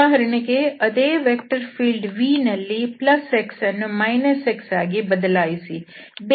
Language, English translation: Kannada, So, for instance, if we take the vector field here, v is equal to x and 0, 0